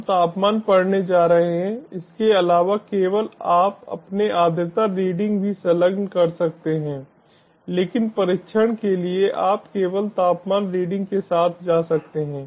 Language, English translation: Hindi, we are going to the temperature only the additionally ah you can attach your humidity readings also, but for the sake of testing you can just go with the temperature readings